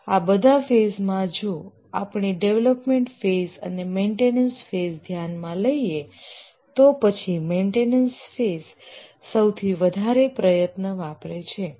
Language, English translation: Gujarati, Among all the phases, if we consider all the phases, the development phases and maintenance phase, then the maintenance phase consumes the maximum effort